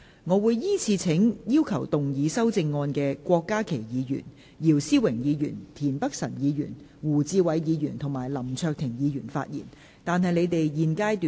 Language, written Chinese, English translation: Cantonese, 我會依次請要動議修正案的郭家麒議員、姚思榮議員、田北辰議員、胡志偉議員及林卓廷議員發言，但他們在現階段不可動議修正案。, I will call upon Members who will move the amendments to speak in the following order Dr KWOK Ka - ki Mr YIU Si - wing Mr Michael TIEN Mr WU Chi - wai and Mr LAM Cheuk - ting; but they may not move amendments at this stage